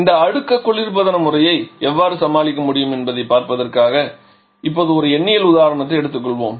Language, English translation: Tamil, Let us now take a numerical example just to see how we can deal with this cascaded refrigeration system